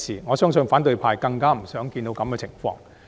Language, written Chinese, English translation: Cantonese, 我相信反對派更不想看到這個情況。, I believe this is something that the opposition camp will hate to see even more